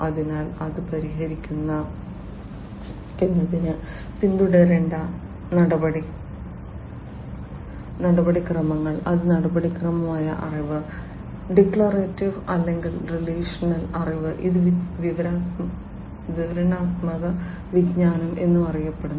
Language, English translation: Malayalam, So, the procedures that will have to be followed in order to solve it that is procedural knowledge, declarative or, relational knowledge, this is also known as descriptive knowledge